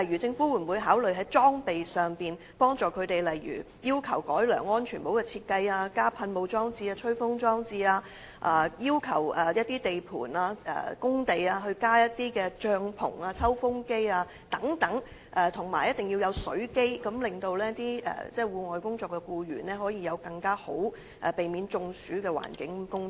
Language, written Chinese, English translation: Cantonese, 政府會否考慮在裝備方面提供協助，例如要求改良安全帽的設計、加設水霧系統或吹風裝置、要求地盤加設帳篷或抽風機，以及規定設置飲水機，好讓在戶外工作的僱員可以在更能避免中暑的環境工作？, Will the Government consider providing assistance in terms of equipment by for example improving the design of helmet providing water mist systems or air - blowing devices setting up tents or installing ventilation fans at construction sites as well as providing water dispensers so that the work environment of outdoor employees can be improved to lower the risk of heat stroke?